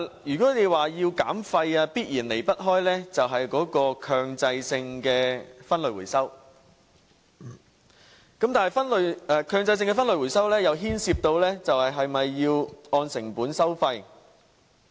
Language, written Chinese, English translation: Cantonese, 如果要減廢，必然離不開強制性分類回收，但強制性分類回收又牽涉是否需要按成本收費。, To reduce waste mandatory waste separation and recovery is indispensable but that involves whether cost - based charges should be levied